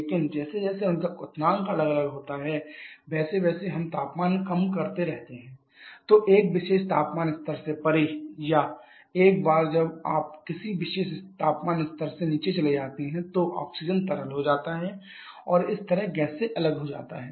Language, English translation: Hindi, But as their me as their boiling point are separate so if we keep on lowering the temperature then beyond a particular temperature level or once you go below a particular temperature level oxygen becomes liquid and thereby gets separated from the gas